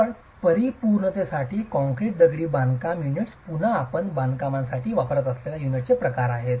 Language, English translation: Marathi, Just for completeness, the concrete masonry units are again a type of unit that you use for construction, you have different types of concrete masonry units